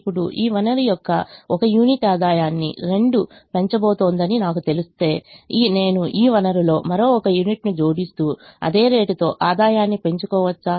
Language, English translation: Telugu, is it true that if i know that one unit of this resource is going to increase the revenue by two, can i keep on adding one more unit of this resource and keep on increasing the revenue at the same rate